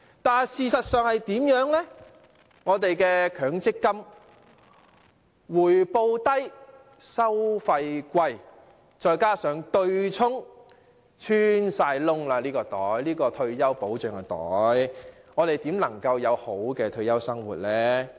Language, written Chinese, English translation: Cantonese, 但是，事實是強積金回報低、收費高，再加上對沖安排，這個退休保障的口袋已穿孔，我們如何能有好的退休生活呢？, However the reality was that the MPF yields a low return and incurs high fees . This coupled with the offsetting arrangement has poked holes in the pocket of retirement protection . How can we live well in retirement?